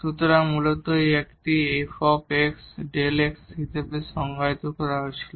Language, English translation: Bengali, So, originally this was defined as a f prime x delta x